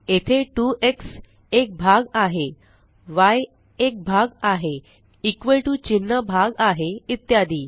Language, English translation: Marathi, Here, 2x is a part, y is a part, equal to character is a part and so on